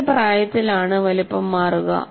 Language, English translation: Malayalam, At what age the size will change